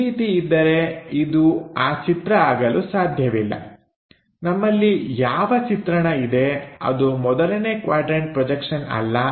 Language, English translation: Kannada, If that is the case, this cannot be this drawing whatever the drawing we have, that cannot be a first quadrant projection